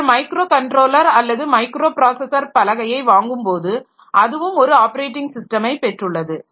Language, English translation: Tamil, So, maybe that when you are buying a microcontroller or microprocessor board, so it also has got an operating system